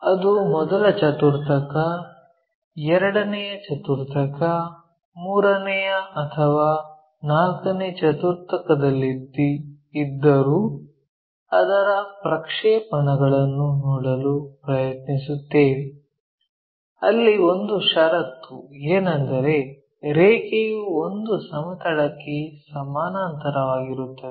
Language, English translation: Kannada, Whether, it might be in the first quadrant, second quadrant, third or fourth quadrant, we try to look at its projections where one of the condition is the line is parallel to one of the planes